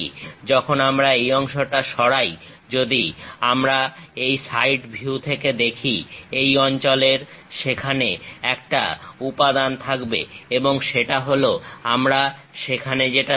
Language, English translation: Bengali, When we remove that part; if we are looking from this side view, there is a material present in this zone and that is the one what we are seeing there